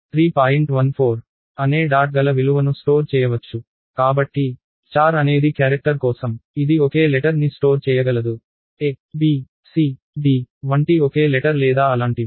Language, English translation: Telugu, 14 and so, on, char is for character it can store a single letter, single letter like a, b, c, d or such things